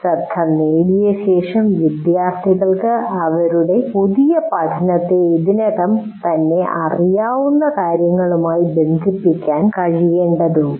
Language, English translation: Malayalam, And the next thing is after getting the attention, the students need to be able to link their new learning to something they already know